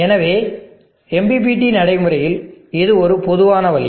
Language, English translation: Tamil, So this general way in which the MPPT is practiced